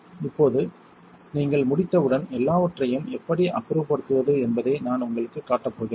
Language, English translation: Tamil, Now, once you are done, I am going to show you how to dispose of everything